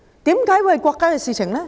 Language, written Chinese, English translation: Cantonese, 為何是國家的事情？, Why is it a national issue?